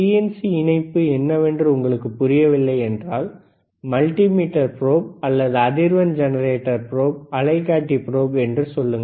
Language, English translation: Tamil, iIf you do n ot understand what is BNC connector is, just say multimeter probe or frequency generator probe, oscilloscope probe, right